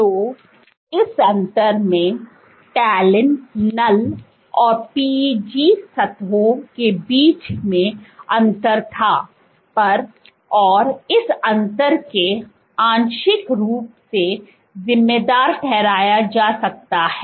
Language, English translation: Hindi, So, this difference there was a difference; between talin null and on PEG surfaces and this difference can be partly attributed